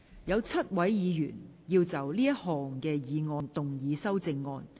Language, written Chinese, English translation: Cantonese, 有7位議員要就這項議案動議修正案。, Seven Members will move amendments to this motion